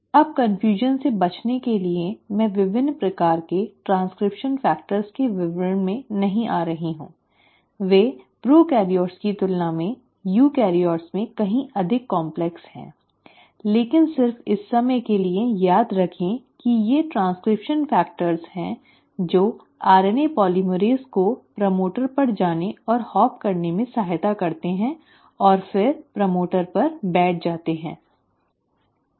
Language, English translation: Hindi, Now to avoid confusion I am not getting into details of different kinds of transcription factors, they are far more complex in eukaryotes than in prokaryotes, but just for the time being remember that it is these transcription factors which assist the RNA polymerase to go and hop on a to the promoter and then sit on the promoter